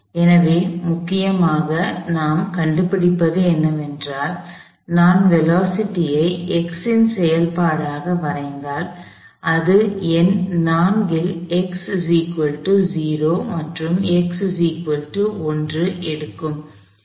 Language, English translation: Tamil, So, essentially what we find is, that if I plot the velocity of function of x, it takes on the number 4 at x equal to 0 and at x equal to 1